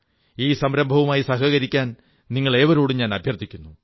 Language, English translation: Malayalam, I urge you to the utmost, let's join this initiative